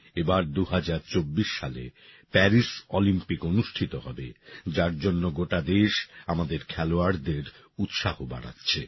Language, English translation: Bengali, Now Paris Olympics will be held in 2024, for which the whole country is encouraging her players